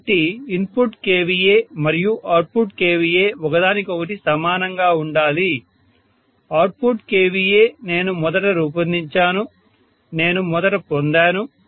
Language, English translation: Telugu, So input kVA and output kVA have to be equal to each other, output kVA I have designed first, I have derived first